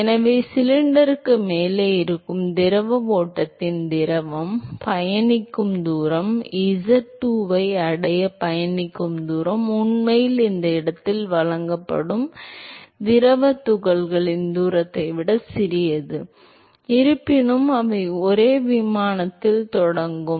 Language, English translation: Tamil, So, the distance that the fluid travels the fluids stream which is present well above the cylinder the distance is travels to reach z2 is actually smaller than the distance that the fluid particles which is presented this location, although they would have started at the same plane right